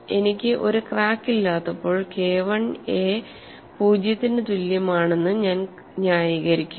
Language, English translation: Malayalam, So when I do not have a crack I am justified in saying K 1a is equal to zero